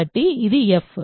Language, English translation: Telugu, So, this is f